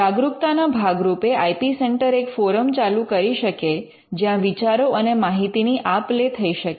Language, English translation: Gujarati, The IP centre can also as a part of the awareness have act as a forum for exchanging ideas and information